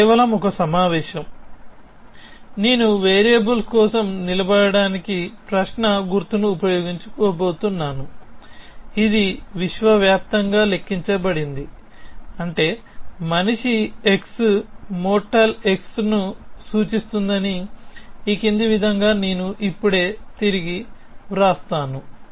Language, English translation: Telugu, So, this is just a convention which says that I am going to use the question mark to stands for a variable, which is universally quantified, which means I will now rewrite this whole thing as follows that man x implies mortal x